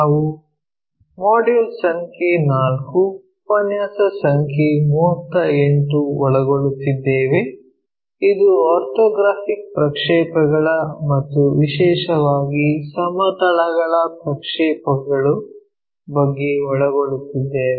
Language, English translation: Kannada, We are covering Module number 4, Lecture number 38, it is about Orthographic Projections especially Projection of planes